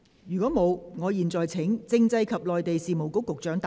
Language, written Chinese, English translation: Cantonese, 如果沒有，我現在請政制及內地事務局局長答辯。, If not I now call upon the Secretary for Constitutional and Mainland Affairs to reply